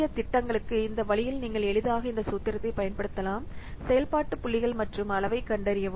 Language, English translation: Tamil, So in this way for small projects you can easily use this formula, find out the function points and size